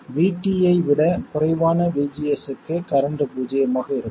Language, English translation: Tamil, For VGS less than VT, the current will be 0